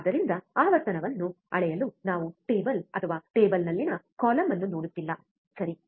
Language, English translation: Kannada, So, that is why we are not looking at the table or a column in the table to measure the frequency, alright